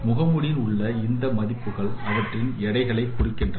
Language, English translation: Tamil, And these values in the mask they represent the weights